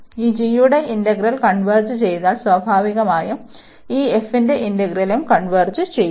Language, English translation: Malayalam, And if the integral of this g converges, then naturally the integral of this f will also converge